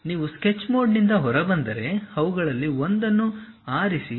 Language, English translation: Kannada, If you come out of sketch mode pick one of them